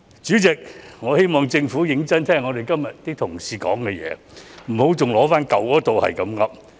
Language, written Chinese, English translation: Cantonese, 主席，我希望政府認真聆聽我們同事的發言，不要一直重提舊有一套的做法來回應。, President I hope that the Government will seriously listen to the speeches of Members and refrain from repeating the old way in its reply